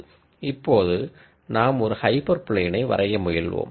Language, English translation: Tamil, Now however you try to draw a hyper plane